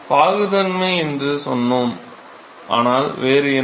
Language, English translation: Tamil, So, we said viscosity, but what else